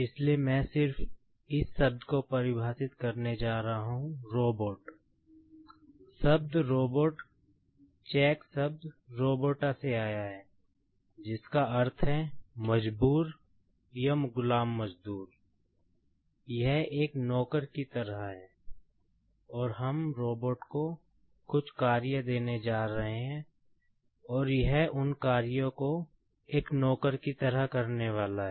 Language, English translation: Hindi, This is just like a servant, and we are going to give some tasks to the robot, and it is going to perform those tasks just like a servant